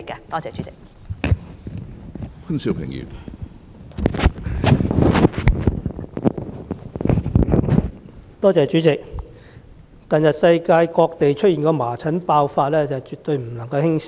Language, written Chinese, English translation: Cantonese, 主席，近日世界各地均爆發麻疹，情況絕對不容輕視。, President the recent outbreaks of measles around the world cannot be taken lightly